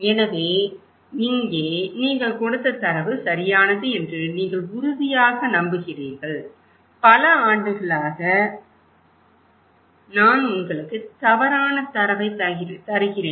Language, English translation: Tamil, So, here is this that are you sure that data you gave me is correct, I have been giving you incorrect data for years